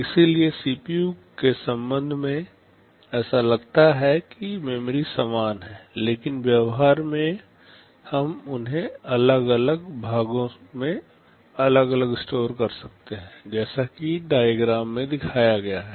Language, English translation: Hindi, So, with respect to CPU it appears that the memory is the same, but in practice we may store them separately in separate parts as this diagram shows